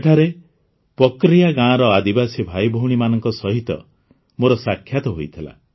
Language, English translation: Odia, There I met tribal brothers and sisters of Pakaria village